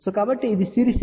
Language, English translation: Telugu, So, this is a series impedance